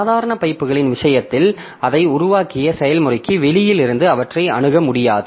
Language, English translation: Tamil, In case of ordinary pipes, so they cannot be accessed from outside the process that created it